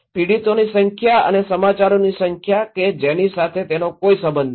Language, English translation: Gujarati, Number of victims and volume of news that they have no correlations